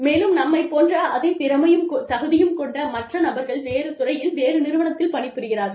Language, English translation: Tamil, And, with others, who are as skilled and qualified as us, but are working in a different industry, outside our organization, completely